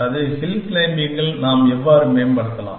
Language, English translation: Tamil, That, how can we improve upon hill climbing